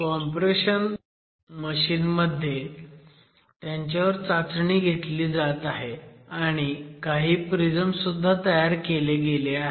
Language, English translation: Marathi, Those are the cores and they are being tested in a compression machine as a cylinder and then a number of prisms are also constructed